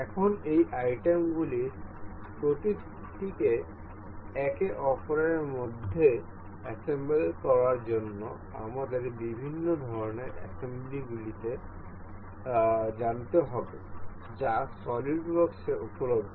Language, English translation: Bengali, Now, to assemble each of these items into one another, we need to know different kinds of assembly that that are available in the solidworks